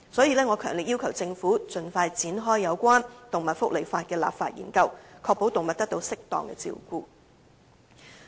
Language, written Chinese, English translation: Cantonese, 因此，我強烈要求政府盡快展開有關動物福利法例的立法研究，確保動物得到適當的照顧。, I therefore strongly request the Government to expeditiously carry out a legislative study on animal welfare legislation to ensure that animals receive proper care